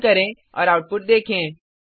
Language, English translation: Hindi, Let us Run and see the output